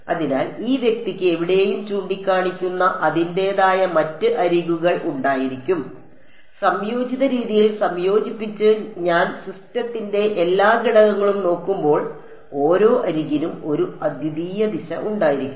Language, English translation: Malayalam, So, this guy will have its own other edges pointed any where, combined in the combined way when I look at all the elements of the system every edge will have a unique direction